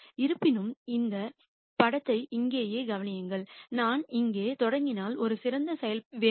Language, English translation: Tamil, However, notice this picture right here for example, if I started here I want a better my function